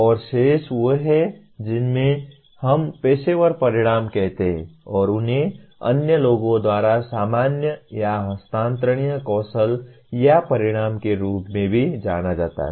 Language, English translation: Hindi, And the remaining ones are what we call professional outcomes and they are also known by other people as generic or transferable skills or outcomes